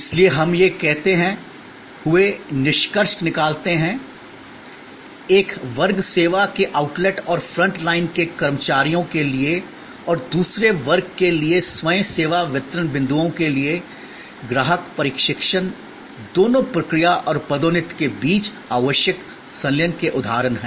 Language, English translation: Hindi, So, we conclude by saying that for one class service outlets and front line employees and for another class the self service delivery points, the customer training both are instances of the fusion necessary between process and promotion